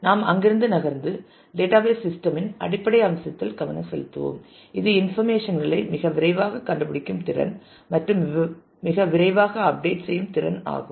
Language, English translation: Tamil, We will move on from there to and focus on the basic feature of a database system, which is the ability to find information in a very fast manner the ability to update in a very fast manner